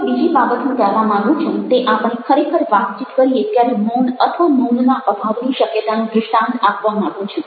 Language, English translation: Gujarati, now the other thing i would like to make is a by way of an illustration has to this possibility of silence, or lack of silence when we actually converse